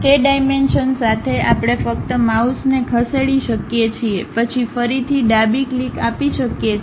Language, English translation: Gujarati, Along that dimension we can just move our mouse, then again give left click